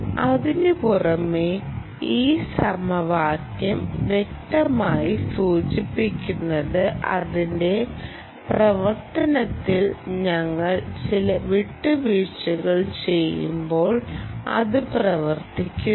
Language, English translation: Malayalam, apart from that, this equation clearly indicates that while we do certain compromises on its working, ah